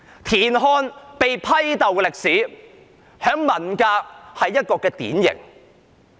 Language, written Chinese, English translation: Cantonese, 田漢被批鬥的歷史在文革期間是一個典型。, The history of TIAN Hans denouncement was typical during the Cultural Revolution